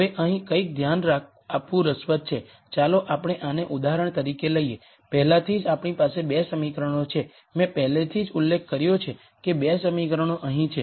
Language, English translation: Gujarati, Now, it is interesting to notice something here for let us just take this as an example already we have 2 equations, I have already mentioned that the 2 equations are here